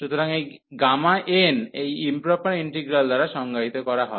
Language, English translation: Bengali, So, gamma n is defined by this improper integral